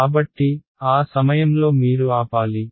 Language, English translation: Telugu, So, at that point you should stop